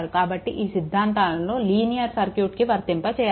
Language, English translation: Telugu, So, these theorems are applicable to linear circuit